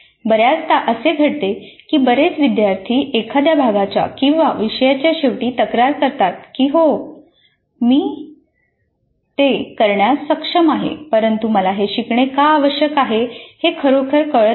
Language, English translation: Marathi, Quite often it happens that many students do complain at the end of a particular instructional unit or even a course that yes I am capable of doing it but I really do not know why I need to have this competency